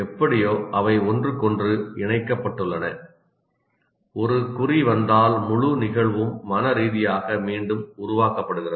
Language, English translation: Tamil, Somehow they are connected to each other and if anyone is like one cue comes, then the entire event somehow mentally gets recreated